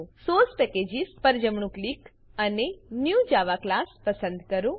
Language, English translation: Gujarati, Right click on the Source Packages and choose New Java Class